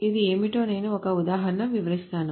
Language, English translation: Telugu, So I will explain what is this with an example